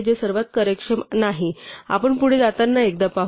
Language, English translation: Marathi, It is not the most efficient; we will see better once as we go along